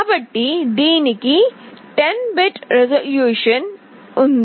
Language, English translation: Telugu, So, this has 10 bit resolution